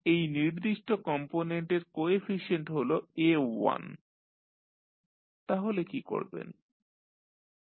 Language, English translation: Bengali, You coefficient for this particular component is minus a1, so, what you will do